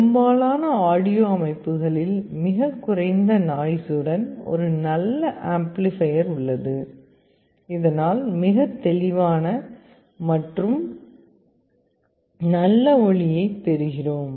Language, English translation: Tamil, In most audio systems we also have a good amplifier circuit with very low noise so that we get a very clear and nice sound